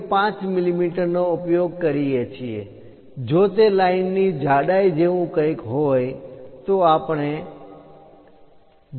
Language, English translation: Gujarati, 5 millimeters; if it is something like thickness of lines, we use 0